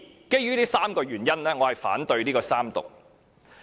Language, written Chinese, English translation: Cantonese, 基於這3個原因，我反對三讀。, I oppose the Third Reading because of these three reasons